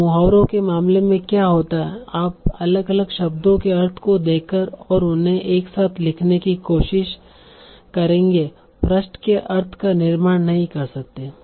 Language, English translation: Hindi, You cannot construct the meaning of the phrase by looking at the meaning of the individual words and trying to compose them together